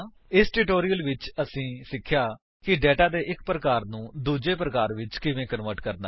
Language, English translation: Punjabi, In this tutorial we have learnt: How to convert data from one type to another